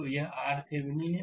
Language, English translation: Hindi, So, this is your R Thevenin